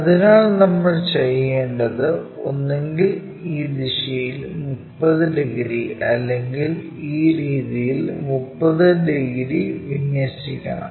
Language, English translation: Malayalam, So, what we have to do is either in this direction 30 degrees or perhaps in this in this way 30 degrees we have to align